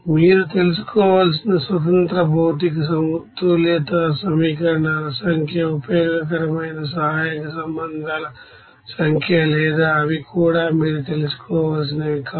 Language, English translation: Telugu, Number of independent material balance equations that you have to know, number of useful auxiliary relations or they are not that also you have to know